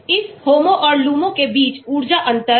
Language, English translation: Hindi, Energy difference between this homo and lumo